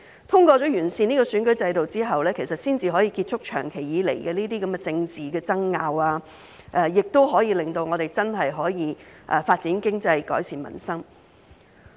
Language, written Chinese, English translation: Cantonese, 通過完善選舉制度後，才可以結束長期以來的這些政治爭拗，亦令我們真正可以發展經濟、改善民生。, Only by improving the electoral system can we put an end to these long - standing political disputes and truly develop the economy and improve peoples livelihood